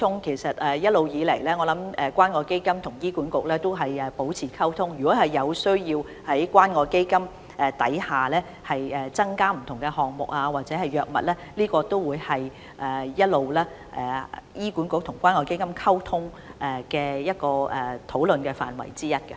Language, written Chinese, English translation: Cantonese, 其實，一直以來，關愛基金與醫管局也有保持溝通，如果有需要在關愛基金項下增設不同項目或增加藥物，我相信這也會是醫管局與關愛基金的討論範圍之一。, In fact CCF and HA have all along maintained communication . If there is a need to set up any items or add any drugs to CCF I believe it is one of the items of discussion between HA and CCF